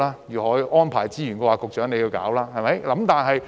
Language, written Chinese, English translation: Cantonese, 如何安排資源，便由局長處理。, How the resources should be allocated is a question for the Secretary